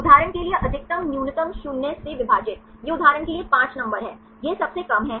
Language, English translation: Hindi, Divided by maximum minus minimum for example, this is the 5 numbers for example, this is the lowest one